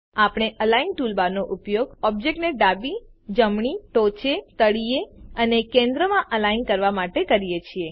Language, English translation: Gujarati, We use the Align toolbar to align the selected object to the left, right, top, bottom and centre